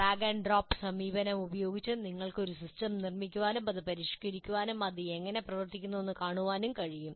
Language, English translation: Malayalam, So you can build using kind of a drag and drop approach you can build the system and even keep modifying it and see how it behaves